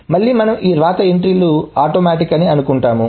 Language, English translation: Telugu, Again we are assuming that these right entries are atomic